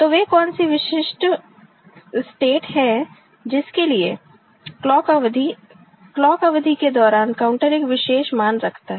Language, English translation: Hindi, So, what are the then unique states for which the clock period, during the clock period the counter holds a specific value